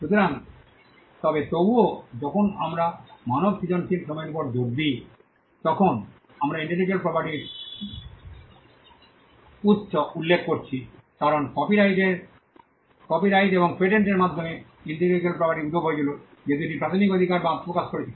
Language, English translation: Bengali, So, so but nevertheless when we talk about when we put the emphasis on human creative labour we are referring to the origin of intellectual property, because intellectual property originated through copyrights and patents that was the two initial rights that emerged